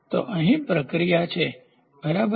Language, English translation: Gujarati, So, here is the process, ok